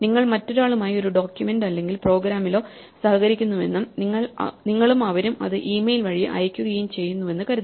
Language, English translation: Malayalam, Supposing you are collaborating on a document or program with somebody else and you send it by email and they send it by